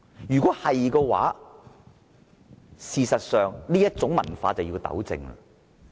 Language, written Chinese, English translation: Cantonese, 如果他說的是實情的話，這種文化必須糾正。, If what he said is true this kind of culture must be corrected